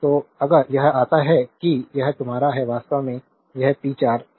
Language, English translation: Hindi, So, if you come to this, that is your this is your actually this is p 4